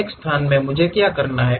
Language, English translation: Hindi, From one location what I have to do